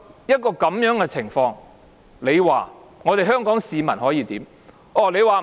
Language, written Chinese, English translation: Cantonese, 面對這樣的情況，香港市民可以怎麼辦呢？, What can Hong Kong people do in the face of such circumstances?